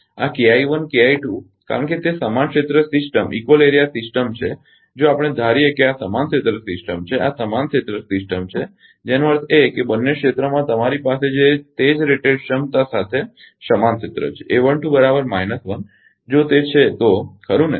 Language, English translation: Gujarati, This K I 1 or K I 2 if I because it is equal area system if we assume these are equal area system this is equal area system that mean both the areas you have the same rated capacity equal area with a 1 2 is equal to minus 1 if it is so right